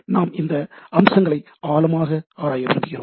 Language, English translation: Tamil, We want to look into deep into the aspects